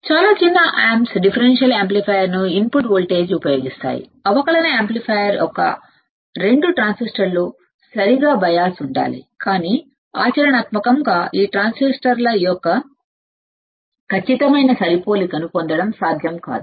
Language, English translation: Telugu, Most of the op amps use differential amplifier as a input voltage the 2 transistors of the differential amplifier must be biased correctly, but practically it is not possible to get exact matching of those transistors